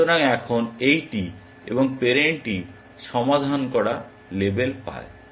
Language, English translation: Bengali, So, now, this and the, parent gets label solved